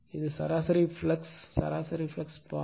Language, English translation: Tamil, So, this is my mean flux path